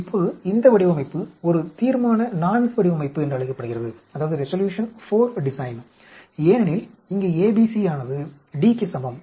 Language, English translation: Tamil, Now, this design is called a Resolution IV design because here ABC is equal to D